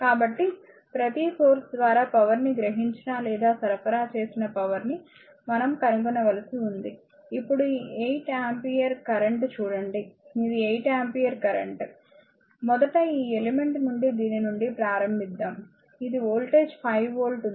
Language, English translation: Telugu, So, we have to find out that power absorbed or supplied by each of the source, now look this 8 ampere current, this is the 8 ampere current, it is first you let us start from this from your this element, which I have voltage across it is 5 volt right